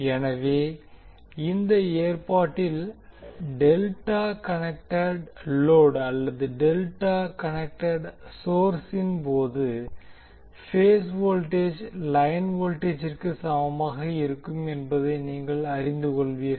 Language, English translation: Tamil, So here if you this particular arrangement, you will come to know that in case of delta connected load or in case of delta connect source the phase voltage will be equal to line voltage